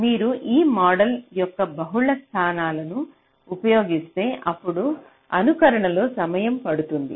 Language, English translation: Telugu, so so if you say that you are using multiple levels of these models, then simulation it will take time